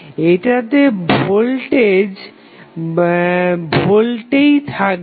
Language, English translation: Bengali, So, that voltage would remain in volts